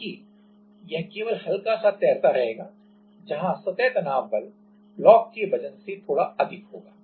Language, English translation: Hindi, So, that it will just float where the surface tension force will be just higher than the block of weight of the block